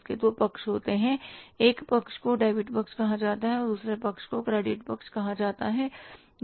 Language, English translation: Hindi, One side is called as the debit side, another side is called as the credit side